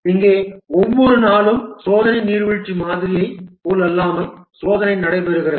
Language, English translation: Tamil, Here every day the testing takes place unlike the waterfall model where testing is at the end